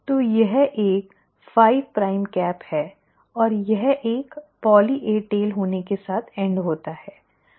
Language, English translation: Hindi, So it has a 5 prime cap, and it ends up having a poly A tail